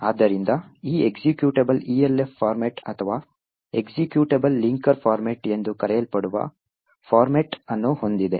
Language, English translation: Kannada, So, this executable has a particular format known as the ELF format or Executable Linker Format